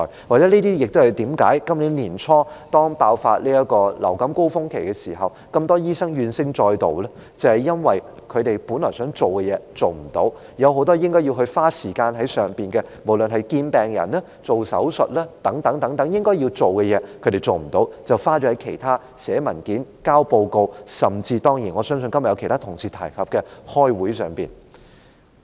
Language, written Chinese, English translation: Cantonese, 或許這些是今年年初，當爆發流感高峰期時，這麼多醫生怨聲載道的原因，正因為他們本來想做的工作無法做，有很多應做的事情，無論是見病人、施手術等應做的事，他們無法做，卻要花時間在其他事項上，例如寫文件、交報告，以及今天有其他同事提及的出席會議等。, This may be the reason for the grievances of so many doctors during the outbreak of influenza early this year . It is because they cannot do what they originally wanted to do . They cannot do what they should do such as seeing patients and doing operations but instead they have to spend time on other things such as writing papers submitting reports as well as attending meetings as mentioned also by other colleagues today